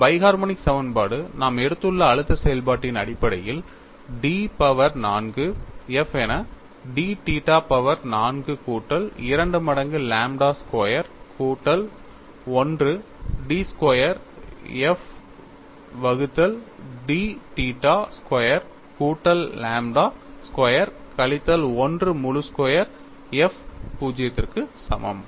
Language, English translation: Tamil, And, this biharmonic equation, in terms of the stress function that we have taken, turns out to be d power 4 f divided by t theta power 4 plus 2 times lambda squared plus 1 d squared phi d squared f by d theta squared plus lambda squared minus 1 whole squared f equal to 0